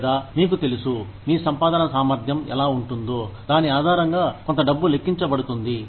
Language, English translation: Telugu, Or the, you know, a certain amount of money is calculated, based on what your earning capacity would be